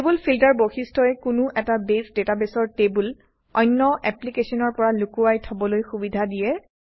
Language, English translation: Assamese, Table Filter feature allows us to hide tables in a Base database from other applications